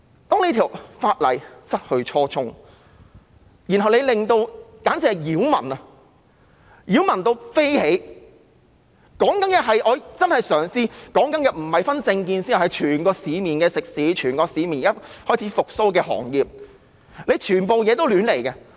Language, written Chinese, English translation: Cantonese, 但這項法例已失去初衷，導致擾民，而且是相當擾民，我所說的，是真的不分政見、全部市面食肆、開始復蘇的行業都覺得擾民。, This ordinance has lost its original purpose . It has become a nuisance to the public a great nuisance indeed . I mean people across the political spectrum all restaurant owners and all reviving industries find it a nuisance